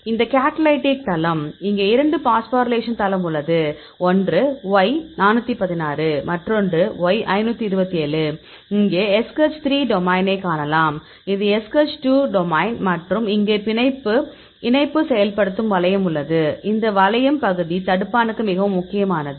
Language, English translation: Tamil, So, it is a catalytic site; here you have the two phosphorylation site, one is a Y 416; another one is Y 527; here you can see the SH3 domain, this is SH2 domain and here this is the linkage